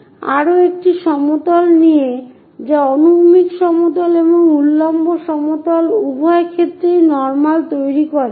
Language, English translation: Bengali, Take one more plane which is normal to both horizontal plane and also vertical plane